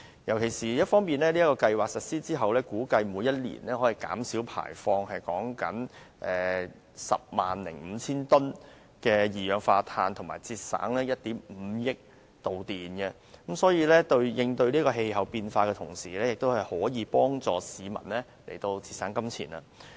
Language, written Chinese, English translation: Cantonese, 在強制性標籤計劃實施後，估計每年可以減少排放 105,000 公噸的二氧化碳，以及節省1億 5,000 萬度電，因此，這計劃除了有利減少對氣候變化影響的同時，亦可幫市民節省金錢。, Upon the implementation of MEELS it is estimated that 105 000 tonnes of carbon dioxide emissions will be reduced and 150 million kWh of electricity will be saved per annum . Hence MEELS not only alleviates the impact on climate change but also helps people save money